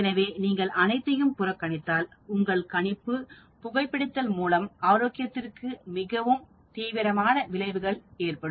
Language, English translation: Tamil, So, if we neglect all those, then you assume that smoking has a very, very serious effect on health